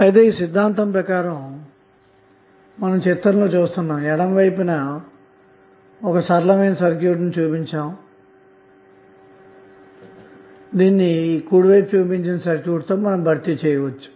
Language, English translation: Telugu, Now according to Thevenin’s theorem, the linear circuit in the left of the figure which is one below can be replaced by that shown in the right